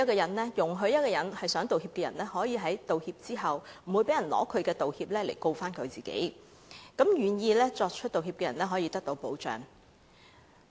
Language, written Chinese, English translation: Cantonese, 《條例草案》容許一個想道歉的人，道歉後不會被人利用其道歉來控告自己，讓願意作出道歉的人可以得到保障。, The Bill protects a person who wish to apologize so that others cannot make use of the evidence of the apology to sue the apology maker